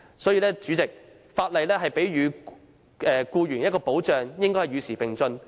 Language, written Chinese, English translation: Cantonese, 代理主席，法例賦予僱員的保障，應該與時並進。, Deputy President legal protection for employees should keep up with the times